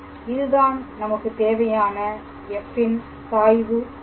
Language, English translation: Tamil, So, this is the required gradient of f